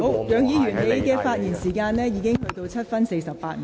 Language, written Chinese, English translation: Cantonese, 楊議員，你的發言時間已過了7分28秒。, Mr YEUNG you have spoken for seven minutes and 28 seconds